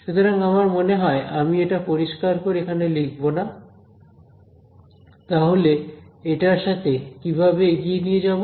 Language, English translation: Bengali, So, I think I will not clearly write it over here ok, so, now how do we actually proceed with this